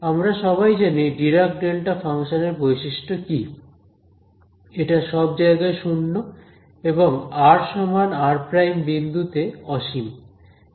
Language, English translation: Bengali, So, we all know what are the what is the property of a Dirac delta function, it is 0 everywhere and infinity at the point at r is equal to r prime, and it is not actually a proper function right